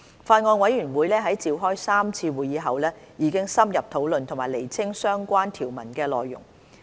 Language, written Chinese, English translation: Cantonese, 法案委員會在召開3次會議後已深入討論和釐清相關條文的內容。, The Bills Committee has held three meetings to discuss in depth and clarify the relevant provisions